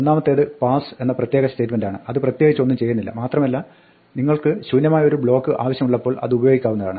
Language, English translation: Malayalam, One is the statement pass which is the special statement that does nothing and can be used whenever you need an empty block